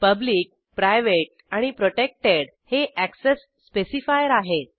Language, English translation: Marathi, Public, private and protected are the access specifier